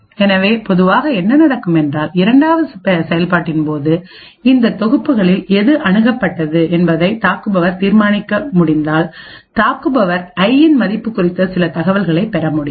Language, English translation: Tamil, So, what typically would happen is that if an attacker is able to determine which of these sets has been accessed during the second operation the attacker would then be able to gain some information about the value of i